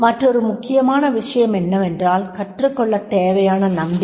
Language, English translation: Tamil, Another important is that is the confidence needed to learn